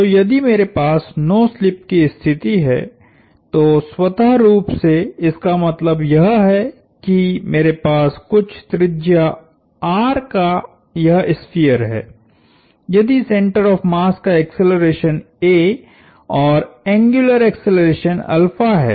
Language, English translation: Hindi, So, if I have no slip, what that automatically means is that, I have this sphere of some radius R, if this center of mass moves with an acceleration a and an angular acceleration alpha